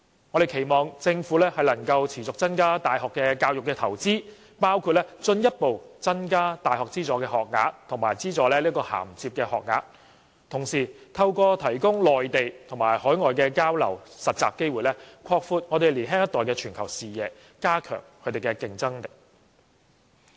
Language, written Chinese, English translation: Cantonese, 我們期望政府能夠持續增加大學教育的投資，包括進一步增加大學資助學額及資助銜接學額，同時透過提供內地和海外的交流及實習機會，擴闊年輕一代的全球視野，加強他們的競爭力。, We hope that the Government will continuously increase its investment in university education such as further increasing the number of university subsidized places and subsidized bridging places and broadening the global vision of the younger generation by providing opportunities for exchanges and internships in the Mainland and overseas so as to enhance their competitiveness